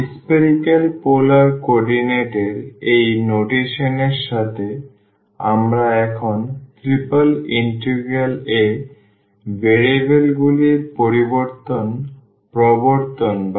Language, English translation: Bengali, So, with this notation of the spherical polar coordinates we will now introduce the change of variables in triple integral